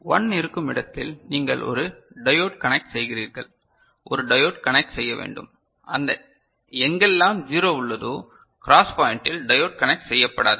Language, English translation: Tamil, And wherever 1 is present you connect a diode, connect a diode, connect a diode and wherever 0 is there at that cross point no diode is connected